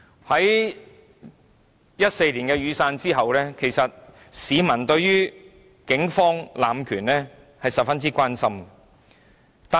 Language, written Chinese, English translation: Cantonese, 在2014年的雨傘運動後，市民十分關心警方濫權的問題。, After the Umbrella Movement in 2014 people are concerned about the abuse of power by the Police